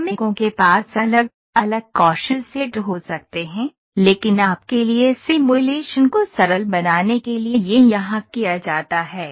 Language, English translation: Hindi, The workers might have different skill sets, but to simplify the simulation for you this is done here